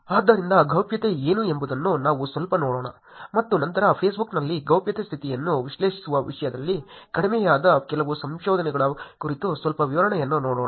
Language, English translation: Kannada, So, let us look at what privacy is a little bit and then give a little detail about some research that was goes down in terms of analyzing the privacy status on Facebook